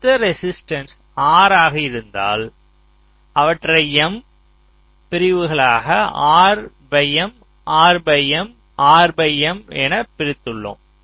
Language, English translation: Tamil, so if the total resistance was capital r, i have divided them into m in m, such segments, r by m, r by m, r by m